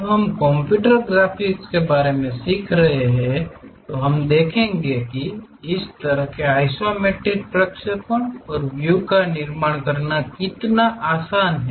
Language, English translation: Hindi, When we are learning about computer graphics we will see, how easy it is to construct such kind of isometric projections and views